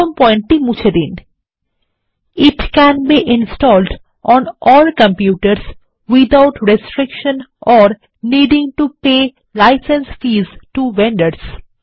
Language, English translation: Bengali, Delete the first point It can be installed on all computers without restriction or needing to pay license fees to vendors